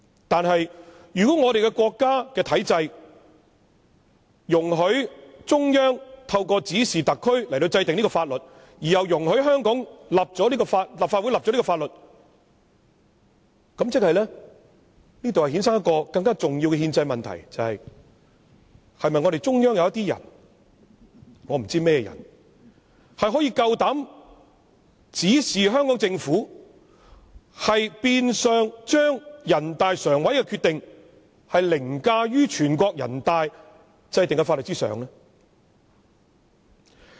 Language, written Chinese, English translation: Cantonese, 但是，如果國家的體制容許中央透過指示特區制定這項法律，而又容許香港立法會訂立這項法律，便會衍生出更重要的憲制問題，便是中央是否有些人——我不知道甚麼人——可以膽敢指示香港政府，變相將人大常委會的決定凌駕於全國人大制定的法律之上呢？, However if the Central Government is allowed under the national regime to instruct SAR to formulate this law and also allows the Hong Kong Legislative Council to legislate on it this will give rise to a more significant constitutional question ie . certain individuals in the Central Government whom I do not know are bold enough to instruct the Hong Kong Government to the effect that NPCSCs decision shall override the law made by NPC . This will also give rise to another issue